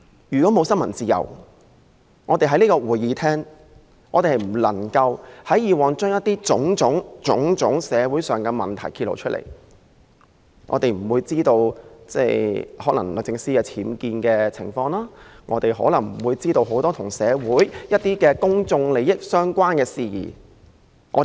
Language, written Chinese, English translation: Cantonese, 如果沒有新聞自由，我們過去便無法在這個會議廳揭露種種社會問題，不會知道律政司司長的寓所有僭建情況，不會知道社會上很多與公眾利益相關的事宜。, Without it we would not be able to disclose many social problems in this Chamber in the past; we would not know there are unauthorized building works at the residence of the Secretary for Justice; and we would not be able to learn about many social issues which concern public interest